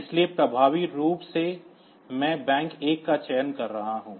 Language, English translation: Hindi, So, effectively I am selecting this bank 1